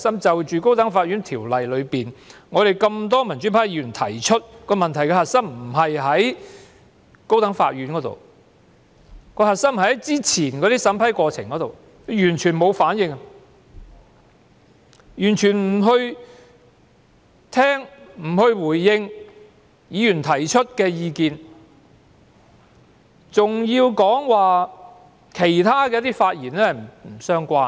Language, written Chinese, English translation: Cantonese, 就《高等法院條例》的修訂，我們多位民主派議員提出，問題的核心不在於高等法院，而是之前的審批過程，但司長完全沒有反應，既沒有聆聽、回應議員提出的意見，更指我其他的發言不相關。, Regarding the amendments to the High Court Ordinance a number of our fellow pro - democracy Members have suggested that the crux of the problem does not lie in the High Court but in the preceding vetting and approval process . However the Secretary has been completely indifferent . She has neither listened to nor responded to Members views and has even accused me of making other irrelevant speeches